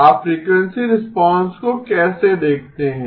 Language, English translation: Hindi, How do you look at frequency response